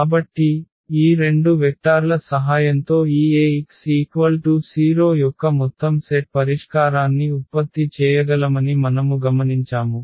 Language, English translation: Telugu, So, what we observed that with the help of these two vectors we can generate the whole set whole solution set of this A x is equal to 0